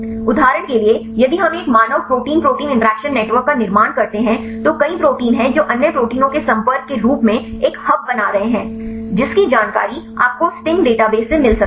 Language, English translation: Hindi, For example, if we construct of a human protein protein interaction network there are many proteins are making as a hubs interacting other proteins that information you can get from the sting database